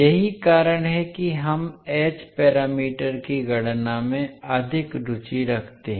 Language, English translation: Hindi, That is why we have more interested into the h parameters calculation